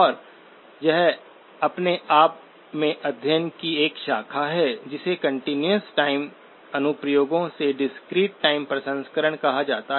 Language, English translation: Hindi, And that is a branch of study by itself called discrete time processing of continuous time applications